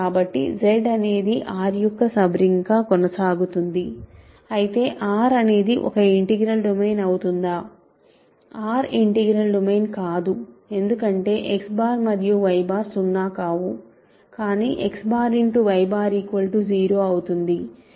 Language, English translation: Telugu, So, Z continues to be a sub ring of R, but is R an integral domain of course, not R is not an integral domain right because X bar and Y bar are non zero, but X bar Y bar is 0 right